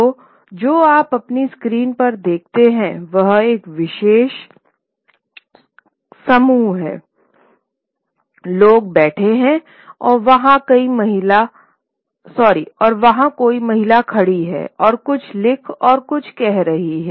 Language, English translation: Hindi, So, what you see on your screen is a particular group of people sitting and someone, a lady there standing up and retwriting and saying something